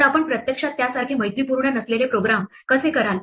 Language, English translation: Marathi, So, how would you actually program something as unfriendly as that